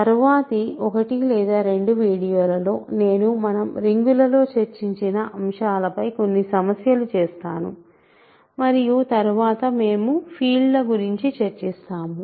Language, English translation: Telugu, So, in the next 1 or 2 videos I will do some problems on rings just to summarize whatever we have done and then we will go to fields